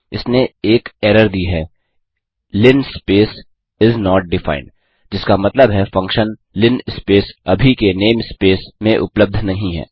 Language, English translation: Hindi, It gave an error linspace() is not defined, which means that the function linspace() is not available in the current name space